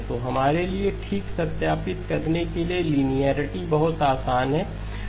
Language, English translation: Hindi, So linearity is very straightforward for us to verify okay